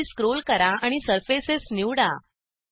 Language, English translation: Marathi, Scroll down and select Surfaces